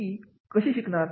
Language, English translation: Marathi, How do you learn